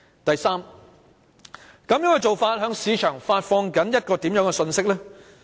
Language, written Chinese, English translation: Cantonese, 第三，這種做法向市場發放了甚麼信息？, Third what kind of message is sent to the market by such an act?